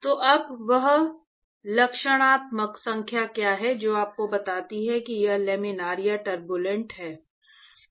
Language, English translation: Hindi, So now, what is the characterizing number which tells you whether it is Laminar or Turbulent